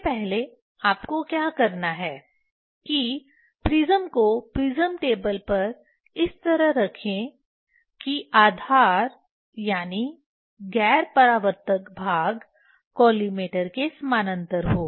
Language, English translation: Hindi, First, what you have to do place the prism on the prism table keeping base means non non reflecting face nearly parallel to the collimator